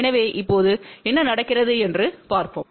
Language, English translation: Tamil, So, let us see what happens now